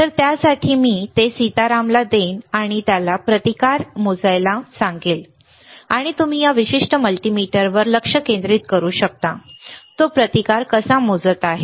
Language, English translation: Marathi, So, for that I will give it to Sitaram, and let him measure the resistance, and you can you focus on this particular multimeter, how he is measuring the resistance, all right